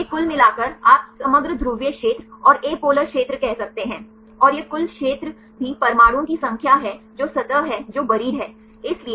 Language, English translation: Hindi, These are overall you can say overall polar area and the apolar area, and this is the total area also there are number of atoms which are the surface which are at the buried